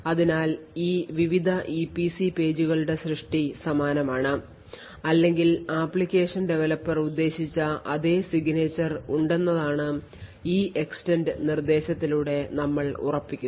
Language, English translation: Malayalam, Thus, what is a certain by the EEXTEND instruction is that the creation of these various EPC pages is exactly similar or has exactly the same signature of what as what the application developer intended